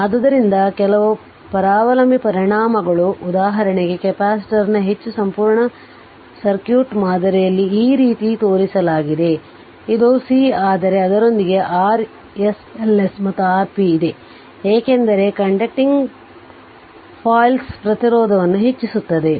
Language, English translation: Kannada, So, some parasitic effects is there for example, in more complete circuit model of a capacitor is shown like this, this is my C, but with that R s L s and R p is there right because conducting foils right ah you have some your your what you call some resistance